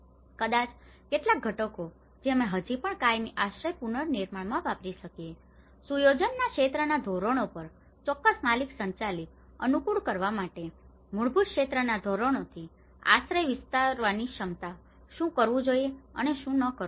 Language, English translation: Gujarati, Maybe some components we can still use in the permanent shelter reconstruction, ability to extend shelters from basic sphere standards to suit specific owner driven on the sphere standards of setup some guidance what to do and what not to do